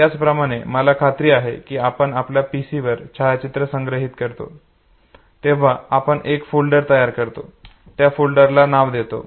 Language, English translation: Marathi, Similarly say I am sure, when you store photographs on your PC, you create a folder and you give name to the folder